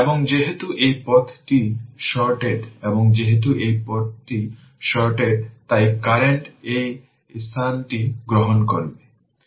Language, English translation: Bengali, And because this path is short and as this path is short so current will take this place